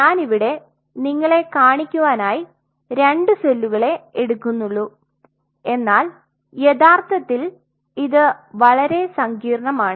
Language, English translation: Malayalam, I am just taking example of two cells to show you, but this could be way more complex